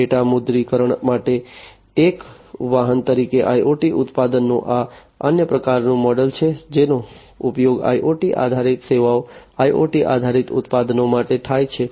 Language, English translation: Gujarati, IoT products as a vehicle to monetize data; this is another type of model that is used for IoT based services IoT based products